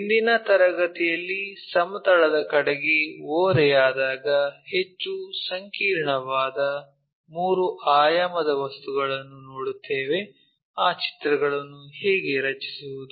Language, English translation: Kannada, In today's class, we will look at more complicated three dimensional objects when they are inclined towards the planes, how to draw those pictures